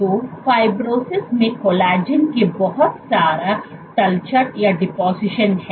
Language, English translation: Hindi, So, fibrosis is lot of deposition of collagen